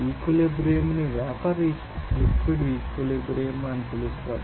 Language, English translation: Telugu, So, that equilibrium will be called as vapour liquid equilibrium